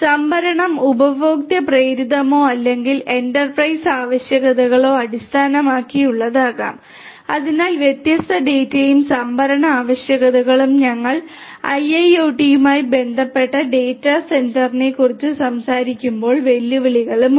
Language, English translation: Malayalam, The storage could be consumer driven or based on the requirements of the enterprise so different different data and storage requirements and the challenges are there when we are talking about data centre with IIoT